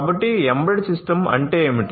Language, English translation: Telugu, So, what is an embedded system